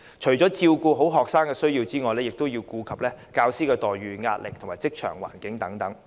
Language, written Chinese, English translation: Cantonese, 除照顧學生的需要，也要顧及教師的待遇、壓力和職場環境等。, In addition to the needs of students teachers remuneration stress and workplace environment etc